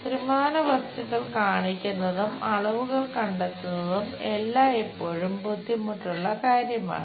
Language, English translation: Malayalam, Showing 3 D objects and having dimensions is always be difficult task finding them